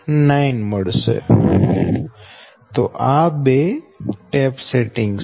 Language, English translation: Gujarati, so this two are tap settings